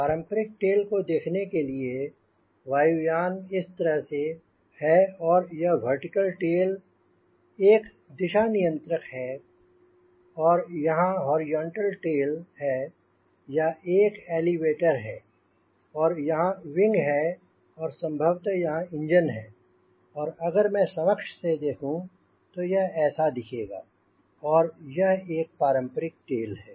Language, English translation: Hindi, if you see, for a conventional tail, the airplane will be like this: there is a vertical tail, there is a radar, there is horizontal tail, there is an elevator and there is a wing and may be engine here and if i see the long preview, it will be look like this